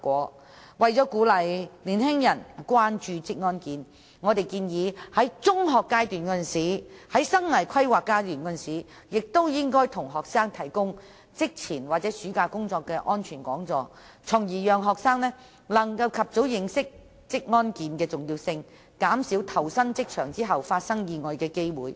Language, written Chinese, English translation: Cantonese, 此外，為鼓勵年輕人關注職安健，我們建議在中學階段的生涯規劃教育中向學生提供職前或有關暑期工作的安全講座，從而讓學生能及早認識職安健的重要性，以期減少他們在投身職場後發生意外的機會。, Furthermore in order to promote awareness of occupational safety and health among young people we propose to include pre - employment or summer job safety talks in life planning education carried out in secondary schools so that students will learn about the importance of occupational safety and health at an early stage thereby minimizing the possibility of getting injured at work after they have joined the labour market